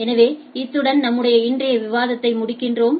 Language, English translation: Tamil, So, with this we conclude our today’s discussion